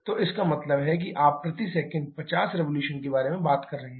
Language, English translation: Hindi, So, that means you are talking about 50 revolutions per second